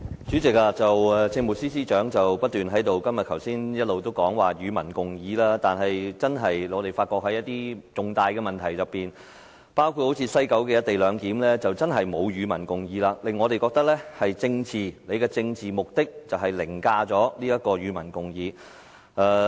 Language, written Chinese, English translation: Cantonese, 主席，政務司司長剛才不斷提到"與民共議"，但在一些重大問題上，包括西九的"一地兩檢"安排，政府並沒有"與民共議"，令我們覺得政府的政治目的凌駕於"與民共議"。, President the Chief Secretary has mentioned public discussion time and again but on some major issues including the co - location arrangement at the West Kowloon Station the Government has not conducted public discussion . This gives us an impression that the Governments political objective overrides public discussion